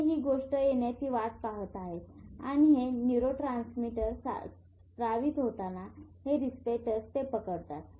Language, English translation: Marathi, They are waiting for this thing to come and as this neurotransmitters are secreted these receptors catch hold of it